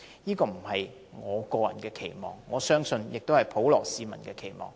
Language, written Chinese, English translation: Cantonese, 這不只是我個人期望，我相信也是普羅市民的期望。, This is not only my personal expectation but also the wish among the people